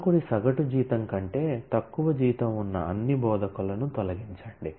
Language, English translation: Telugu, Delete all instructors whose salary is less than the average salary of instructor